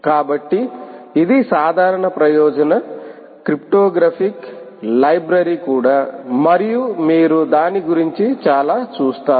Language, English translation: Telugu, ah, it is also a general purpose cryptographic library library, ok, and you will see a lot about it